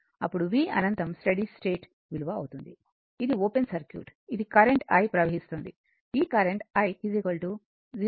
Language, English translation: Telugu, Then, what is v infinity, then v infinity will be that is a steady state value, this is open circuit this I is flowing this i is half and it is 20